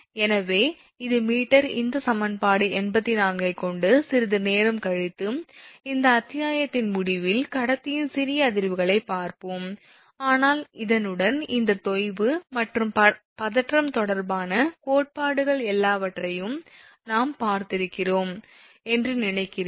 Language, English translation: Tamil, So, meter this will be meter this equation 84 with this more or less little bit later we will see, little bit of vibration of conductor at the end of this chapter, but with this whatever theories are there related to this sag and tension, I think we have seen everything